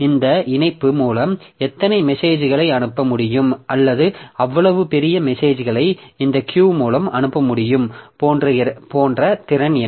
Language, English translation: Tamil, What is the capacity like how many messages can I send or how big messages can I send through this Q